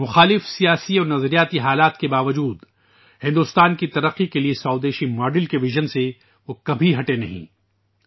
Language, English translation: Urdu, Despite the adverse political and ideological circumstances, he never wavered from the vision of a Swadeshi, home grown model for the development of India